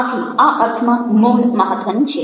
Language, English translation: Gujarati, so silence, in in that sense, is important